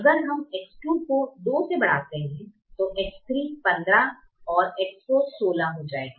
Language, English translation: Hindi, if we increase x one to two, then x three will become fifteen and x four will become sixteen